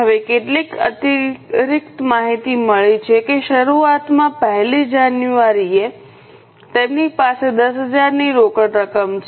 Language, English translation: Gujarati, Now, there is some additional information that in the beginning, that is on 1st January, they have a cash balance of 10,000